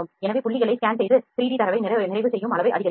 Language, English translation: Tamil, So, scan points and enhance the degree of completion of 3D data